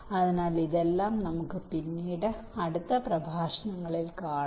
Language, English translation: Malayalam, so we shall see all this things later in the next lectures